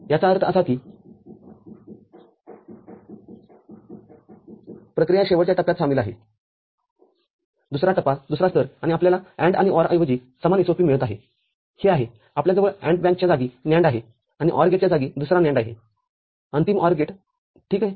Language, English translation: Marathi, And ultimately all of them each individual NAND output are ANDed and complemented that means, another NAND operation is involved in the last stage the second stage, second level, and you get the same SOP instead of AND and OR that is this you are having a NAND replacing the AND bank and another NAND replacing the OR gate, the final OR gate ok